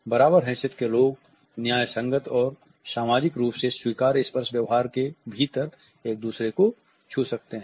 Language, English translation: Hindi, Equals may touch each other within the justifiable socially acceptable touch behavior